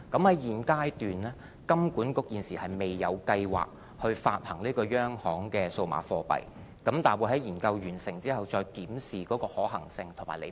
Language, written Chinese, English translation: Cantonese, 在現階段，金管局現時未有計劃發行央行的數碼貨幣，但會在研究完成後，再檢視有關方面的可行性和利弊。, HKMA has no plan to issue CBDC at this stage but after the study is finished it will review the feasibility and pros and cons of issuing CBDC